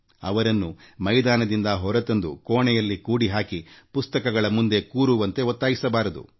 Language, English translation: Kannada, They should not be forced off the playing fields to be locked in rooms with books